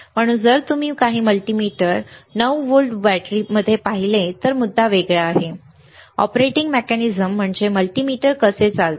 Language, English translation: Marathi, So, if you see in some multimeters 9 volt battery some multimeter it is different the point is, what is the operating mechanism how multimeter operates